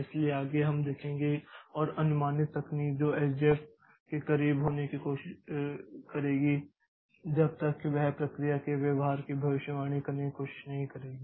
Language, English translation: Hindi, So, next we'll see an approximate technique that will try to be close to SJF and that will try to predict the behavior of the process